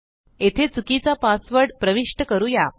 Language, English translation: Marathi, Let us enter a wrong password here